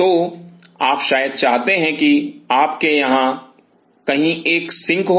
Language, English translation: Hindi, So, you probably want you have a sink somewhere out here